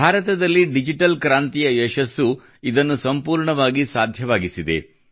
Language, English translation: Kannada, The success of the digital revolution in India has made this absolutely possible